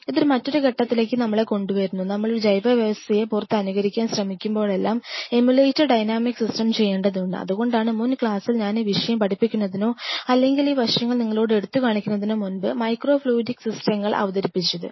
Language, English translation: Malayalam, That is brings us to another point that whenever we try to emulate a biological system outside, we have to emulator dynamic system and that was the reason why in the previous class before I teach this aspect or highlight these aspects to you